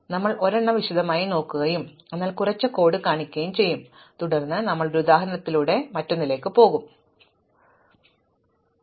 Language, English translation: Malayalam, So, we will look at one in detail and show some code for it and then we will look at another through an example and you will have to write the code by yourself, if you are interested